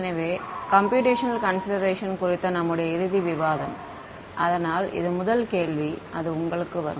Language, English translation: Tamil, So, our final discussion on the Computational Considerations; so, this is the first question that will come to you right